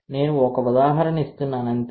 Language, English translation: Telugu, That is just I am giving an example, ok